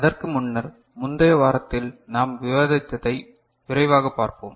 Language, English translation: Tamil, So, this is in brief what we discussed in the last week